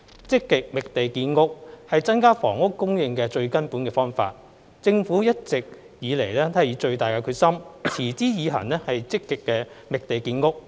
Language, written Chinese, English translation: Cantonese, 積極覓地建屋是增加房屋供應的最根本方法。政府一直以來都以最大的決心，持之以恆積極覓地建屋。, Actively identifying land for housing construction is the fundamental solution to increasing housing supply and the Government has all along been fully committed to continuously identify land for housing development